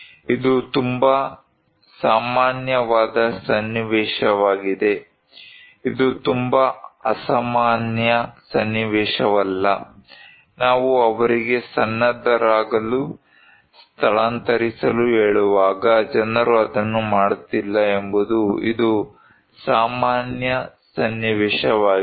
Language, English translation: Kannada, this is very common scenario this is not a very extraordinary scenario, this is very common scenario that people are not doing it when we are telling them; telling them to prepare, telling them to evacuate